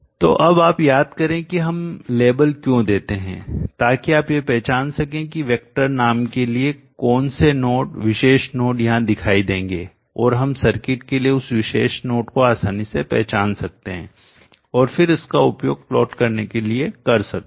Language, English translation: Hindi, So now you recall why we give the label so that you can recognize which node that particular node label will appear here for the vector name and we can easily recognize that particular node to the circuit and then use it for plots if you plot the branch current IV0 vs